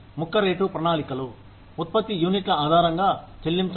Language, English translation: Telugu, The piece rate plans are, pay based on, units produced